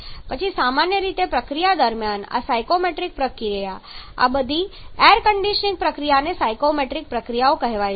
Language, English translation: Gujarati, Then generally during the process this psychometry process all this air conditioning process called the psychrometric processes